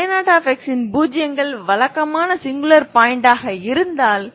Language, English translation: Tamil, If 0 of a 0 if they are regular singular points, ok